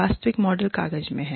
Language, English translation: Hindi, The actual model is in the paper